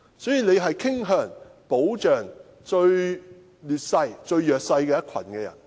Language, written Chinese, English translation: Cantonese, 因此，大家也傾向保障處於最劣勢而又最弱勢的一群。, Hence we tend to protect the most disadvantaged in the most disadvantageous position